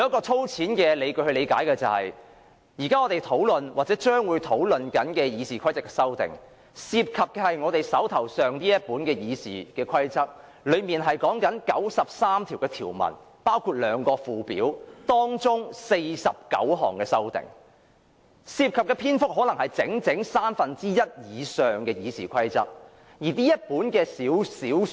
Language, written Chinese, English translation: Cantonese, 粗淺地理解，我們現正討論或將會討論的《議事規則》的修訂，涉及我們手上這本《議事規則》，當中包括93項條文和兩個附表，而這49項修訂涉及的篇幅，可能佔整份《議事規則》的三分之一以上。, To my rough understanding the amendments to RoP which we are now discussing or going to discuss concern this book called RoP in our hand comprising 93 rules and two schedules and these 49 amendments may cover more than one third of the whole RoP